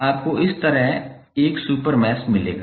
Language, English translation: Hindi, You will get one super mesh like this, right